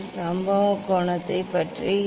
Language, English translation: Tamil, what about the incident angle what about the incident angle